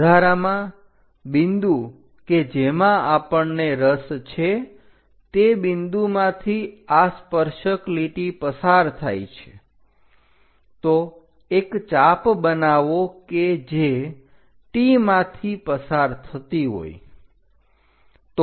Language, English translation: Gujarati, And the point what we are interested is a tangent line which is passing through this point; so make an arc which is passing through T